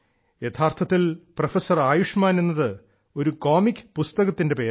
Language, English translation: Malayalam, Actually Professor Ayushman is the name of a comic book